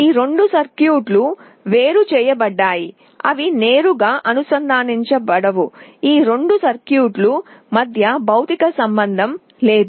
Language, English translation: Telugu, These two circuits are isolated, they are not directly connected; there is no physical connection between these two circuits